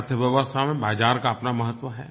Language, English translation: Hindi, Market has its own importance in the economy